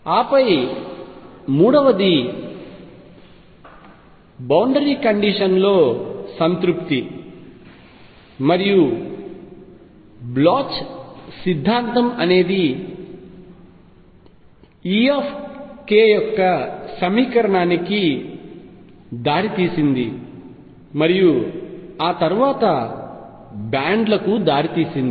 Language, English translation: Telugu, And then three, satisfaction of the boundary condition and Bloch’s theorem led to the equation for e k and that led to bands